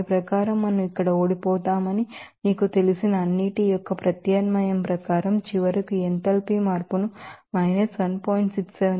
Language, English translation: Telugu, So, according to that up the substitution of all you know that we lose here, we can finally get this enthalpy changes minus 1